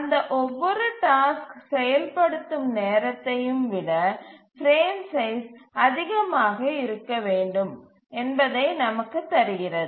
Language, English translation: Tamil, And that gives us that the frame size must be greater than each of the task execution times